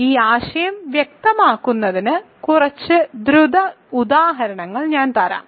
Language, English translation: Malayalam, So, let me give you a couple of quick examples to be clear about this idea